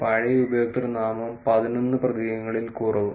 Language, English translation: Malayalam, old username less than eleven characters